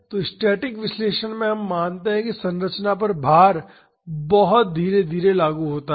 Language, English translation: Hindi, So, in the static analysis we assume that the load is applied on the structure very gradually